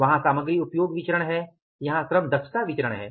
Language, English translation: Hindi, Their material usage here the labor efficiency